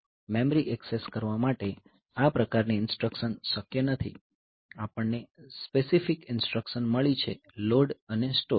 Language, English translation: Gujarati, So, this type of instructions are not possible for accessing memory we have got specific instructions LOAD and STORE so, LOAD and STORE